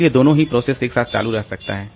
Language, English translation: Hindi, So, the both the processes can continue